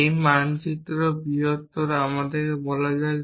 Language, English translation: Bengali, This map to greater than let us say